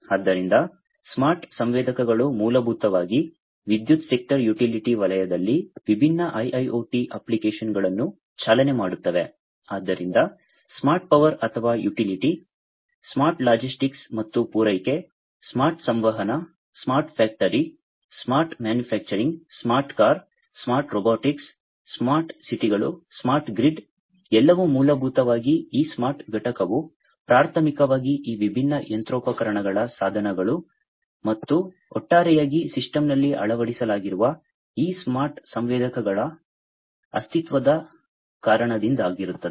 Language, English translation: Kannada, So, smart sensors basically drive different IIoT applications in the power, sector utility sector, so smart power or utility, smart logistics and supply, smart communication, smart factory, smart manufacturing, smart car, smart robotics, smart cities, smart grid, everything basically this smart component is primarily due to the existence of these smart sensors embedded in these different machinery devices and the system, as a whole